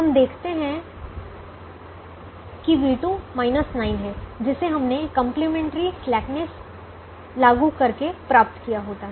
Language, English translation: Hindi, we realize v two as minus nine, which is this which we would have obtained otherwise by applying complimentary slackness